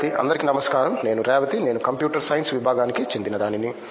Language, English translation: Telugu, Hi I am Revathi, I am from the Department of Computer Science